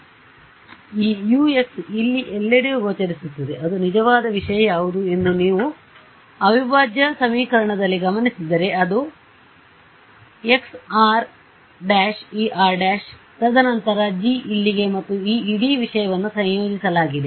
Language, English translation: Kannada, So, this U into x over here that appears everywhere if you notice in the integral equation what was the actual thing, it was chi r prime E of r prime right, and then the G over here and this whole thing was integrated